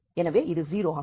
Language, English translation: Tamil, So, they become same and that means this is 0